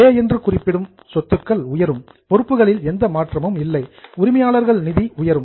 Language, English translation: Tamil, So, there is a plus in A, assets go up, no change in liability, owners fund go up